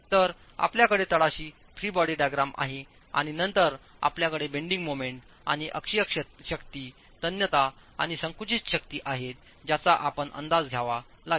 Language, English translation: Marathi, So you have the free body diagram at the bottom and then you have the bending moment and the axial forces, the tensile and compressive forces that we have to estimate